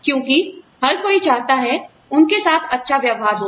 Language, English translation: Hindi, Because, everybody wants to be treated, well